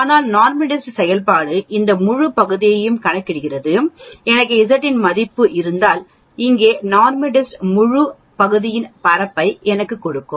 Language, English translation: Tamil, But NORMSDIST function calculates this whole area, if I have a value of Z here NORMSDIST will give me the area of the whole portion